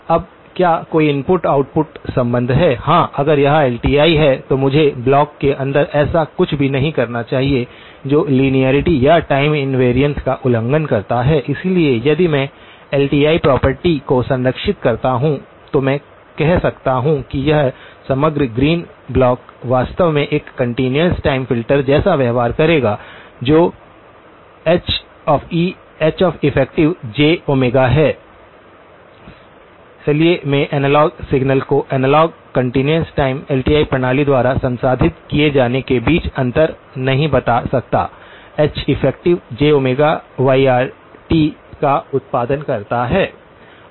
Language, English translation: Hindi, Now, is there an input output relationship yes, if this is LTI, I should not do anything inside the block that violates linearity or time invariance, so if I preserve the LTI property then, I can say that this overall green block actually behaves like a continuous time filter which is H effective; Heff, H effective of j omega, so I cannot tell the difference between an analogue signal being processed by analogue continuous time LTI system, a H effective of j omega producing yr of t